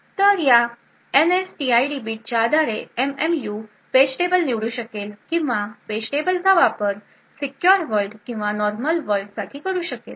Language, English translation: Marathi, So, based on this NSTID bit the MMU would be able to select page tables or use page tables which are meant for the secure world or the normal world